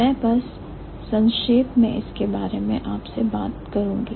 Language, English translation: Hindi, So, I'm just going to briefly talk about this